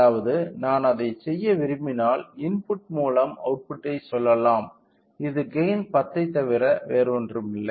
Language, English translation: Tamil, So, that means, if I want to do that we can say output by input which is nothing, but gain 10